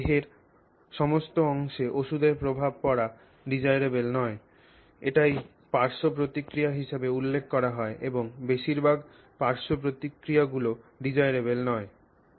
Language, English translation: Bengali, It is not desirable for us to have a medicine impact all of the rest of our body because that is exactly what is referred to as a side effect and mostly the side effects are undesirable